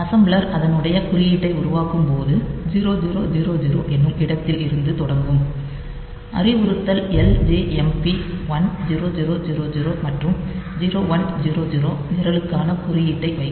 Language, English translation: Tamil, So, the assembler when they are generating the object code so, it will do it like this that at location 0 0 0 0 it will put the instruction LJMP 1000 and at location 0 1 0 0 onwards